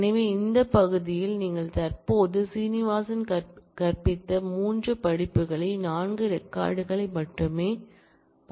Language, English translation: Tamil, So, you can currently see in this part you can see only 4 records the 3 courses taught by Srinivasan